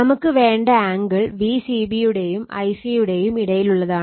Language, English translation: Malayalam, Now, you we want the angle should be in between V c b I c and V c b